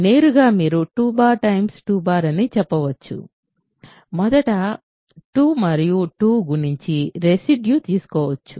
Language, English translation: Telugu, Directly you can say 2 bar times 2 bar is first multiply 2 and 2 and take the residue